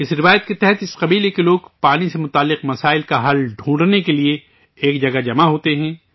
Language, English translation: Urdu, Under this tradition, the people of this tribe gather at one place to find a solution to the problems related to water